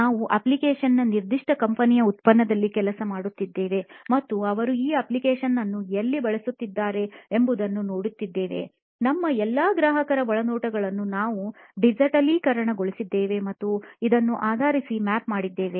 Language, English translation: Kannada, We were working on a particular company’s product of an app and seeing where they use this app all our customers insights we had digitized and mapped it based on this